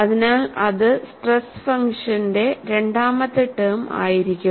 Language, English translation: Malayalam, So, that would be the second term of the stress function